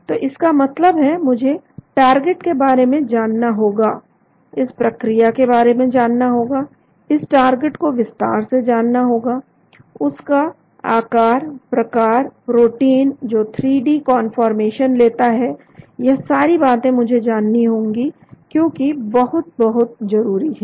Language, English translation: Hindi, so that means I need to know something about the target, this mechanism I need to know, I need to know the details about the target, the structure, the shape, the 3 dimensional conformation the protein takes, all these things I need to know that is very, very important